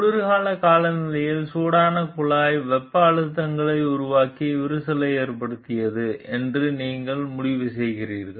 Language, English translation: Tamil, You conclude that the hot pipe in cold weather created thermal stresses and caused the cracking